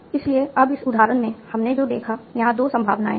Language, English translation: Hindi, So, now, in this example what we saw, there are two possibilities